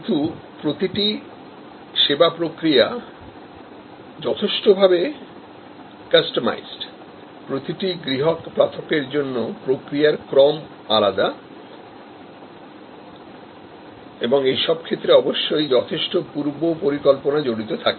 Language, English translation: Bengali, But, each service instance is quite customized, there are different sequences of activities for each individual customer and in these cases of course, there is lot of scheduling involved